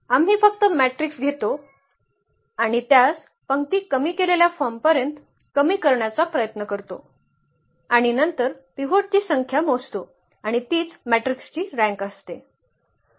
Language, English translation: Marathi, We just take the matrix and try to reduce it to the row reduced form and then count the number of pivots and that is precisely the rank of the matrix